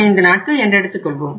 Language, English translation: Tamil, For how much period of time, say 35 days right